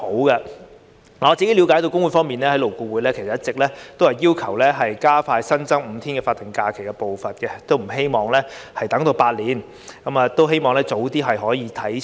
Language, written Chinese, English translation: Cantonese, 據我對工會方面的了解，勞工顧問委員會一直也要求加快新增5天法定假日的步伐，不希望等足8年，而是希望兩類假期的日數可以早日看齊。, According to my understanding of the trade unions the Labour Advisory Board LAB has been urging to advance the pace in increasing the five days of SHs . It does not want to wait for as long as eight years but hopes that the numbers of the two types of holidays can be expeditiously aligned